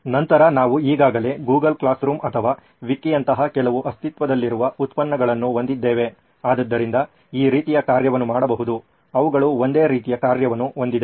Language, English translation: Kannada, Then we already have few existing products like a Google Classroom or a Wiki which can do this kind of, which have similar kind of functionality as well